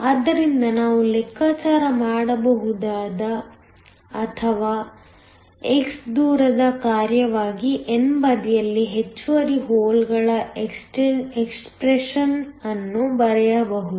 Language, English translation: Kannada, So, we can calculate or we can write down the expression for the excess holes on the n side as a function of distance x